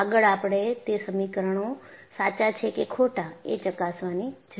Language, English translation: Gujarati, And, we need to verify whether those equations are correct